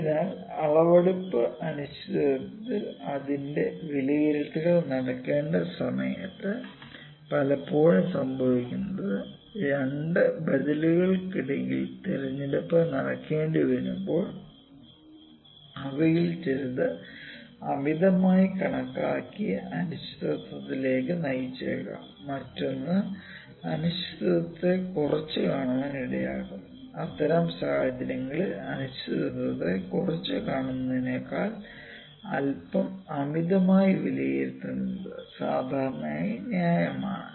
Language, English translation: Malayalam, So, in measurement uncertainty when its estimation is to be done it often occurs when it is necessary to make choice between two alternatives of which may be possible lead to somewhat over estimated uncertainty and the other one may maybe lead to underestimate in uncertainty, in such situation it is usually reasonable to rather somewhat overestimate than underestimate uncertainty